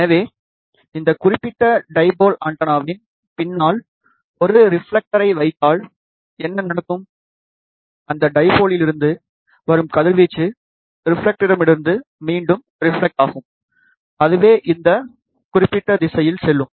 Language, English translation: Tamil, So, if we put a reflector behind this particular dipole antenna, then what will happen, the radiation from that dipole will reflect back from the reflector, it will go in this particular direction